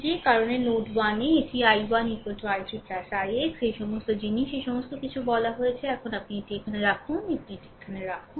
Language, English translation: Bengali, That is why at node 1, it is i 1 is equal to i 3 plus i x; all this things have been told all this things have been told now you put it here now you put it here, right